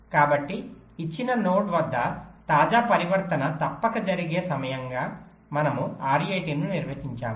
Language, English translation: Telugu, so r i t we define as the time by which the latest transition at a given node must occur